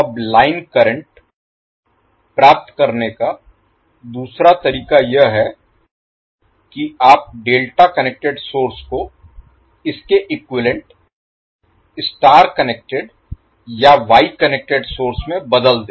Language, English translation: Hindi, Now another way to obtain the line current is that you replace the delta connected source into its equivalent star connected or Y connected source